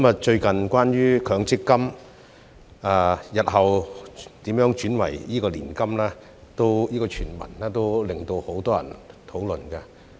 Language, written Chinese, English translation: Cantonese, 最近關於強積金日後如何轉為年金的傳聞，引起很多人討論。, The recent rumour about how MPF assets would be converted to annuities in future has aroused much discussion